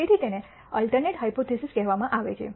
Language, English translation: Gujarati, So, this is called the alternate hypothesis